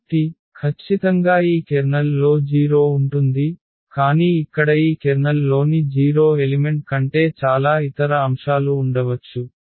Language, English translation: Telugu, So, definitely the 0 will be there in this kernel, but there can be many other elements than the 0 elements in this kernel here